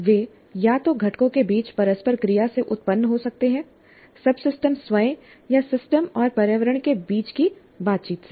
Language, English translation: Hindi, They can arise either from interactions among the components systems themselves, subsystems themselves, or the interactions between the system and the environment